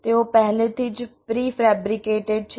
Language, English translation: Gujarati, they are already pre fabricated